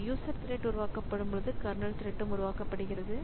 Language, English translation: Tamil, Creating a user level thread creates a kernel thread as well